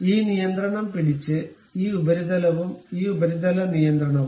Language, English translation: Malayalam, This surface and this surface control, by holding this control